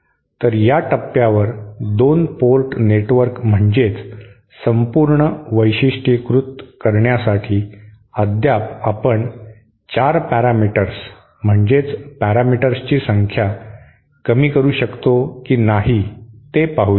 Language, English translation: Marathi, So to completely characterize the 2 port network mean at this stage we still mean 4 parameters, let us see whether we can further reduce the number of parameters